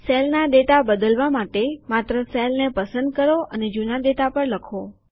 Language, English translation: Gujarati, To replace the data in a cell, simply select the cell and type over the old data